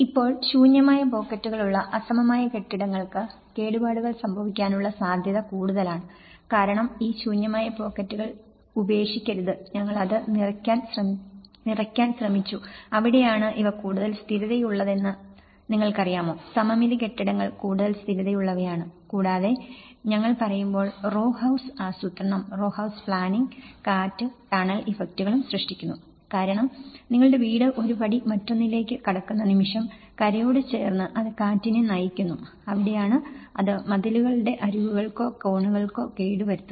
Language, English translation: Malayalam, Now, asymmetric buildings with empty pockets are more vulnerable to damage because don’t leave these empty pockets, we tried to fill that and that is where these are more stable you know, the symmetric buildings are more stable and also when we say about the row house planning; the row house planning also creates wind tunnel effects because the moment your house is one step to another, next to the shore and then it channels the wind and that is where it can damage the edges of the walls or the corners